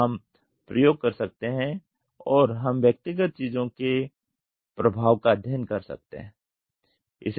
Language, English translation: Hindi, So, we can do experiments and we can study the effect of individual things